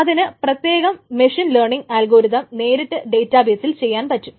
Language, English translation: Malayalam, So it can do certain machine learning algorithms directly with Hadoop database